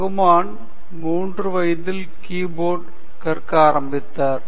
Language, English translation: Tamil, Rahman started learning key board at the age of 3 right